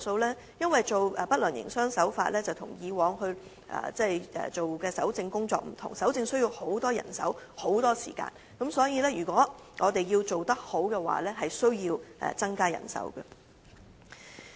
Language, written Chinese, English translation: Cantonese, 由於處理不良營商手法個案跟以往的搜證工作不同，需要投入大量人手和時間，所以如要取得良好效果便極度需要增加人手。, Unlike what the Customs has done in the past a new mode of operation has to be implemented for the collection of evidence in handling cases about unfair trade practices and abundant manpower and time resources are thus required . Therefore additional manpower is desperately needed in order to achieve the best possible results